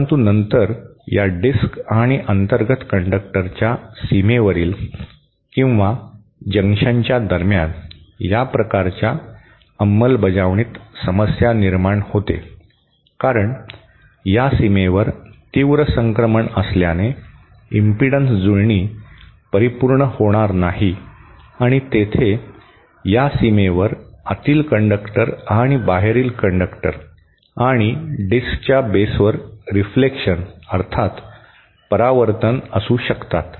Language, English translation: Marathi, But then the problem with this kind of implementation that the boundary or the junction between the 2, that is at the junction of this disc and that of the inner conductor, since there is a sharp transition, the impedance matching will not be perfect and there may be reflections introduce at this boundary, at the boundary between the, inner conductor and the outer and this disc at the base